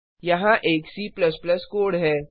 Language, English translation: Hindi, Here is a C++ code